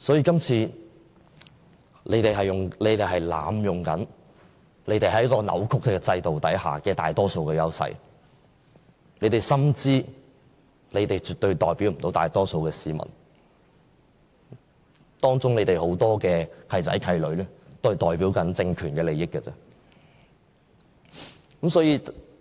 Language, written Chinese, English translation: Cantonese, 這次他們是在濫用、扭曲制度下的大多數優勢，他們心知絕對不能代表大多數市民，當中有很多"契仔契女"只代表政權的利益。, Now they hold a majority of seats in the geographical constituencies only by abusing and twisting the current system . They are well aware that they cannot represent the majority of people . Among them many godsons and god - daughters can only represent the interests of the authorities